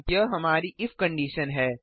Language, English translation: Hindi, This is our else if condition